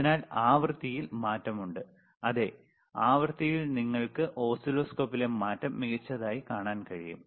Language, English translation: Malayalam, the sSo, this is there is the change in the frequency and the same frequency you can see the change in the oscilloscope excellent